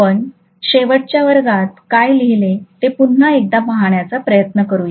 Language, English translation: Marathi, Let us try to again take a look at what we wrote in the last class